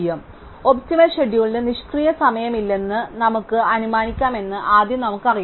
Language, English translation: Malayalam, So, first of all we know that we can assume that the optimum schedule has no idle time